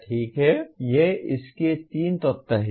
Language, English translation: Hindi, Okay, these are the three elements of this